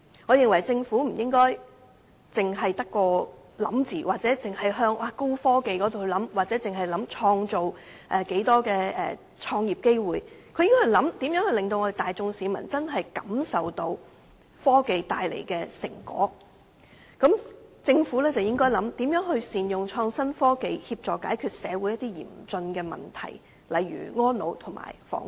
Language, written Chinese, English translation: Cantonese, 我認為政府不應該只是空想，只針對高科技或只考慮創造多少創業機會，而應該想想如何令市民感受到科技帶來的成果，政府應該想想如何善用創新科技，協助解決社會嚴峻的問題，例如安老及房屋。, I do not think that the Government should only have an idle dream merely focusing on high technology or considering how many start - up opportunities can be created . Instead it should consider how members of the public can experience the fruits of technology and how it can make good use of innovation and technology to help solve serious social problems such as elderly care and housing problems